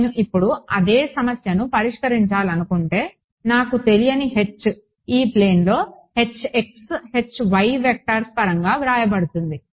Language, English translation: Telugu, The same problem if I want to solve now my unknown can be h in the plane Hx Hy will be written in terms of these vectors